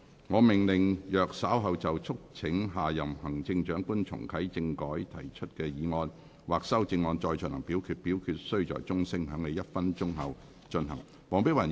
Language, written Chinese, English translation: Cantonese, 我命令若稍後就"促請下任行政長官重啟政改"所提出的議案或修正案再進行點名表決，表決須在鐘聲響起1分鐘後進行。, I order that in the event of further divisions being claimed in respect of the motion on Urging the next Chief Executive to reactivate constitutional reform or the amendment thereto this Council do proceed to each of such divisions immediately after the division bell has been rung for one minute